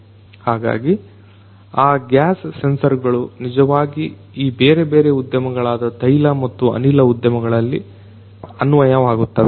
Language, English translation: Kannada, So, those gas sensors are actually also applicable in these different industries; oil and gas industries right